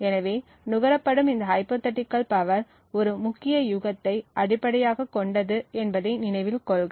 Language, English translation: Tamil, So, note that this hypothetical power consumed was based on a key guess